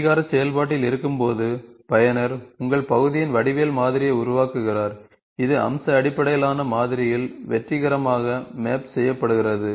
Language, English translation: Tamil, While in the recognition process, the user builds the geometric model of your path, that is successfully mapped into the feature based model